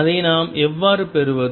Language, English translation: Tamil, How do we get that